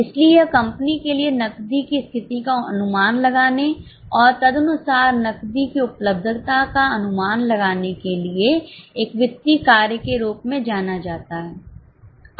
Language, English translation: Hindi, So, this is known as a finance function for the company to estimate the cash position and accordingly make the availability of cash